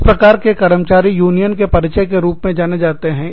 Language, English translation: Hindi, This kind of an employee, is known as a, union steward